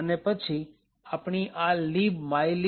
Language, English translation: Gujarati, The library is call libmylib